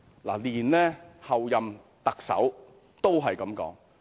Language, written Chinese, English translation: Cantonese, 連候任特首也這樣說。, Even the Chief Executive - elect made such a comment